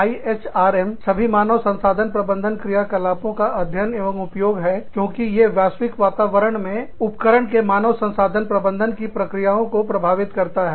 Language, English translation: Hindi, IHRM is the study and application of, all human resource management activities, as they impact the process of managing human resources, in enterprises, in the global environment